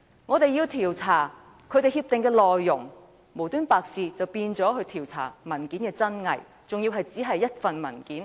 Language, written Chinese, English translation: Cantonese, 我們要調查協議的內容，無緣無故卻變成調查文件的真偽，而且只限於一份文件。, The inquiry into the contents of the agreement has changed for no reason to the inquiry into the authenticity of the document and the inquiry is restricted to only one document